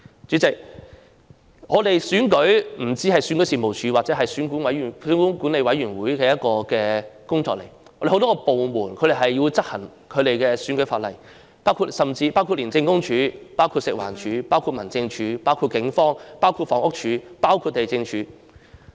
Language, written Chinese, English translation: Cantonese, 主席，選舉不單是選舉事務處或選舉管理委員會的工作，有很多部門也要執行選舉法例，包括廉政公署、食物環境衞生署、民政事務總署、警方、房屋署及地政總署。, President an election not only involves the efforts made by the Registration and Electoral Office or the Electoral Affairs Commission ECA but also the enforcement of the electoral legislation by a number of departments including the Independent Commission Against Corruption ICAC the Food and Environmental Hygiene Department FEHD the Home Affairs Department HAD the Police Force the Housing Department and the Lands Department